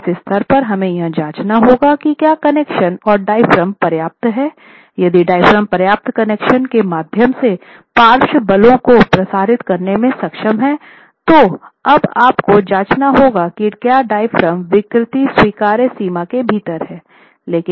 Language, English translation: Hindi, So at this stage you have to check if the diaphragm is adequate, if the connections are adequate, and here if the diaphragm is going to be able to transmit the lateral forces through adequate connections, then you now have to check if the diaphragm deformations are within acceptable limits